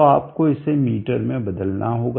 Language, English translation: Hindi, 4/1000 will convert it into meters